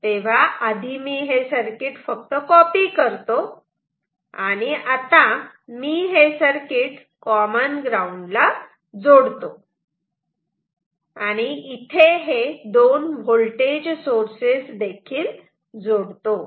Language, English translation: Marathi, So, let me just copy this circuit and now I reconnect this circuit with a common ground and two voltage sources you can think of ok